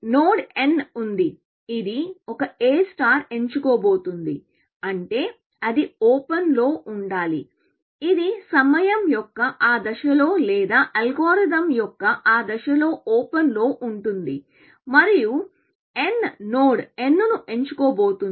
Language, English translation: Telugu, There is node n which A star is about to pick, which means, it must be on open; this is open at that stage of time, or that stage of the algorithm, and n is about to pick node n